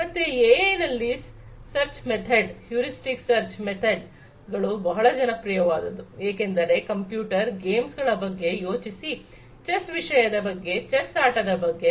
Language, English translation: Kannada, So, actually what happens is why the you know AI is you know why the search method heuristic search methods are very popular in AI is, because think about computer games, things about chess the game of chess, etcetera